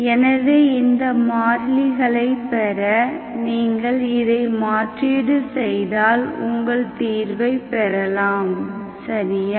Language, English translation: Tamil, Why is it working, so if you simply substitute to get these constants, then those, that is the solution, okay